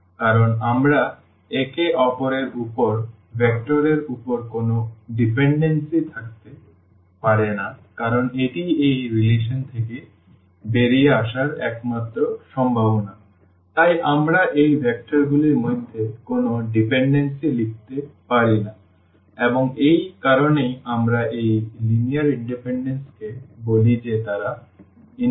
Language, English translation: Bengali, Because we can there is no dependency on the vectors on each other because that is the only possibility coming out of this relation, so we cannot write any dependency among these vectors and that is the reason we call this linear independence that they are independent